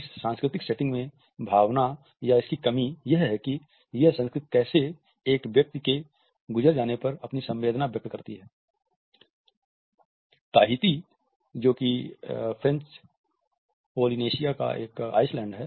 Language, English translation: Hindi, In this cultural setting, the emotion or the lack of it is how that culture expresses emotion when a person passes away